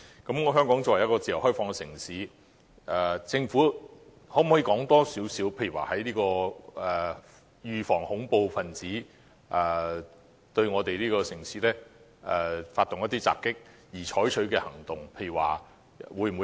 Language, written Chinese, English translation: Cantonese, 鑒於香港是一個自由開放的城市，政府可否告知我們，為預防恐怖分子對香港發動襲擊而採取的行動為何？, Given that Hong Kong is a free and open city can the Government inform us of the precautions taken to protect Hong Kong against terrorist attacks?